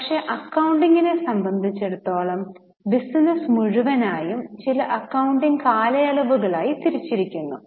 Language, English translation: Malayalam, But as far as the accounting is concerned, the whole of business life is divided into certain periods which are known as accounting periods